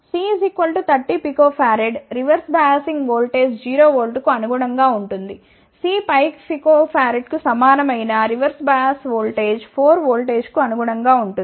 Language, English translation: Telugu, C equal to 30 picofarad corresponds to reverse biasing voltage as 0 volt and C equal to 5 picofarad corresponds to reverse bias voltage of 4 volt